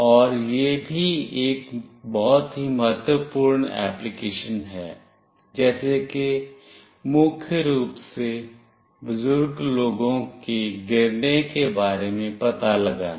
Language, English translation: Hindi, And also there is a very vital application like fall detection mainly for elderly people